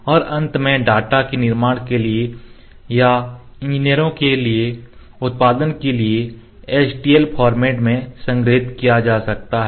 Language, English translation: Hindi, And finally, the data can be stored in the HTL format for the production for the manufacturer or for the engineers